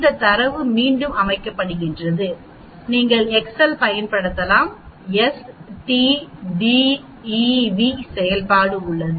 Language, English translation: Tamil, Standard Deviation of this data set again you can use excel there is s t d e v function